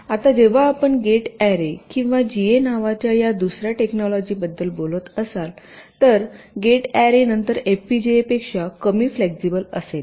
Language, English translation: Marathi, now now here, when you talking about this second technology called gate arrays or ga, gate array will be little less flexible then fpga, but its speed will be a little higher